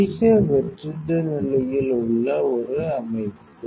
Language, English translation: Tamil, A system in high vacuum condition